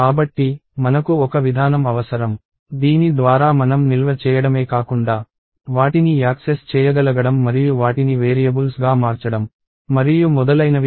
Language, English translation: Telugu, So, we need a mechanism by which we can not only store, but also be able to access them and manipulate them as variables and so on